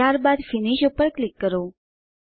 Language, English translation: Gujarati, Then click on Finish